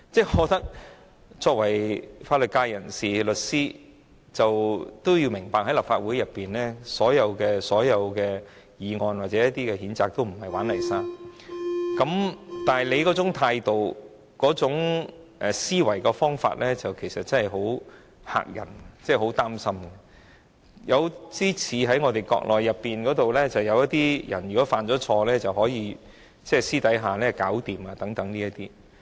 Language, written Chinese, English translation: Cantonese, 我覺得作為法律界人士、律師的他要明白，立法會所有議案或譴責議案也不是"玩泥沙"，但他那種態度、思維的方法真的很嚇人，令人擔心，有點兒與國內一些犯錯的人希望私下處理的手法相似。, I hold that as a Member from the legal sector or as a lawyer he should know that motions or censure motions of the Legislative Council are not a childs play . The way he acts and thinks is indeed very frightening and worrying . He is like people in the Mainland who prefer settling wrongdoings in private